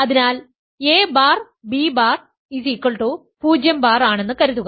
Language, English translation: Malayalam, So, suppose a bar times b bar is 0 bar right